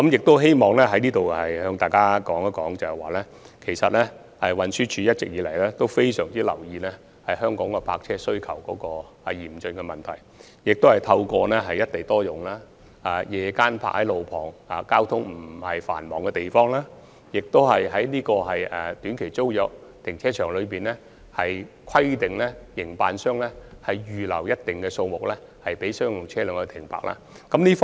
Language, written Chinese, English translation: Cantonese, 我希望在此向大家指出，運輸署一直非常留意香港泊車位需求嚴峻的問題，亦透過"一地多用"的原則，在路旁、交通不太繁忙的地方劃設夜間泊車位，並規定短期租約停車場的營辦商，預留一定數目的停車位予商用車輛停泊。, I wish to take this opportunity to point out to Members that TD has been monitoring closely the acute shortage of parking spaces in Hong Kong and designating on - street locations with less traffic flow as night - time parking spaces under the principle of single site multiple use . It also requires operators of short - term tenancy car parks to reserve a certain number of car parks for use by commercial vehicles